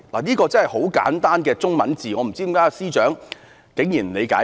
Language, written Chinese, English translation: Cantonese, 這是很簡單的文字，我不知為何司長竟然不理解。, These are simple words but I do not understand why the Secretary does not take heed of them